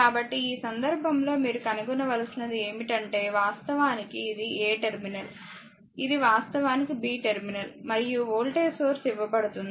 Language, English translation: Telugu, So, in that case that you have to find out you have to find this is actually a terminal this is actually b terminal and voltage source is given